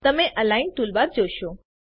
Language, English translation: Gujarati, You will see the Align toolbar